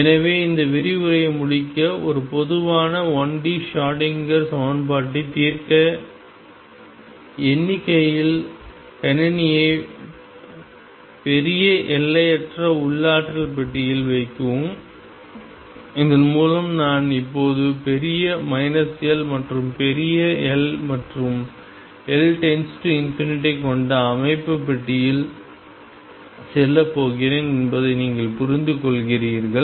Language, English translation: Tamil, So, to conclude this lecture, to solve a general 1 D Schrodinger equation numerically put the system in large infinite potential box and by that you understand now that I am going to box which is huge minus L and L, L tending to infinity and system is somewhere here